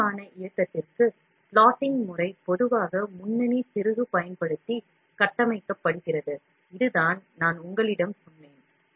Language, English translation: Tamil, For precise movement, the plotting system is normally constructed using lead screw, this is what I told you